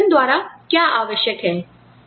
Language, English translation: Hindi, And, what is required by the organization